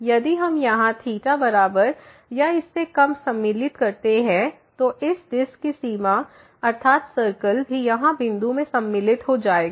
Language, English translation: Hindi, If we include here less than equal to delta, then the boundary of this disc that means, the circle will be also included in the point here